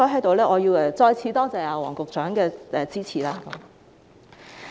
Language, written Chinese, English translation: Cantonese, 所以，我要在此再次多謝黃局長的支持。, Therefore here I wish to thank Secretary Michael WONG again for his support